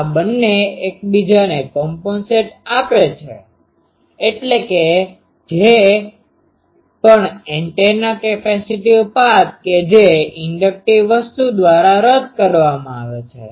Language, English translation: Gujarati, So, this two compensates each other that means, whatever antennas capacitive path that is cancelled by inductive thing